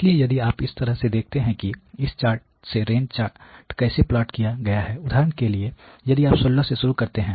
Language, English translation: Hindi, So, if you look at the way that you know this chart has been plotted the range chart; for example, if you look at let say starting from 16